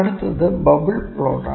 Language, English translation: Malayalam, Next is Bubble Plot